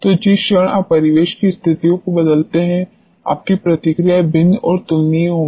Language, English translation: Hindi, So, the movement you change the ambience conditions your responses are going to be different and there in comparable